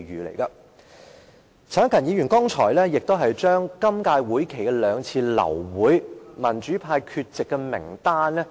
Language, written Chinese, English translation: Cantonese, 陳克勤議員剛才讀出今年會期兩次流會的民主派議員缺席名單。, Just now Mr CHAN Hak - kan read out a list of pro - democracy Members who were absent from the two aborted meetings in this session